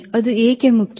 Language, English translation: Kannada, so it is important